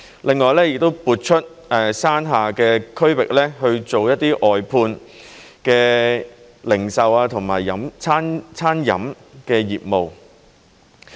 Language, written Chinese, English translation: Cantonese, 另外，亦會撥出山下的區域去做一些外判的零售和餐飲業務。, In addition the lower park will accommodate some retailing and dining business to be operated under outsourcing arrangements